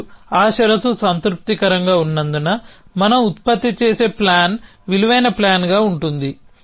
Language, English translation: Telugu, And as on is that condition is satisfied the plan that we produce is going to be a valued plan